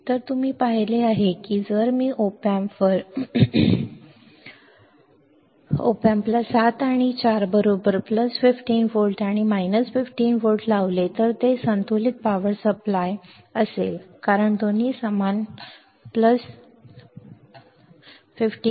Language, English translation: Marathi, So, you have seen right that if I apply plus 15 volts and minus 15 volts to the op amp to the op amp at 7 and 4 right, then it will be by balanced power supply balanced, because both are same plus 15 minus 15